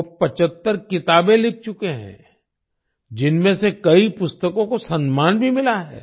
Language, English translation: Hindi, He has written 75 books, many of which have received acclaims